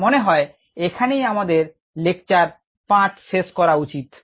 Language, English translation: Bengali, i think this is a nice place to stop lecture five